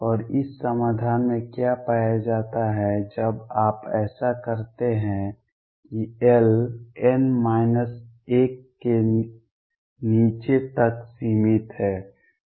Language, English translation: Hindi, And what is also found in this solution when you do it that l is restricted to below n minus 1